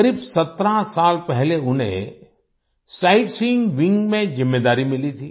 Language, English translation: Hindi, About 17 years ago, he was given a responsibility in the Sightseeing wing